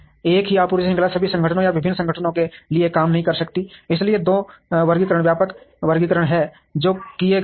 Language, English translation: Hindi, The same supply chain cannot work for all organizations or different organizations, so there are two classifications broad classifications that have been made